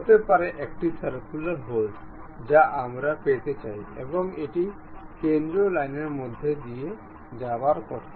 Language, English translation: Bengali, Maybe a circular hole we would like to have and it supposed to pass through center line